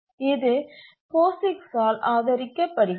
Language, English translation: Tamil, So it's supported by POIX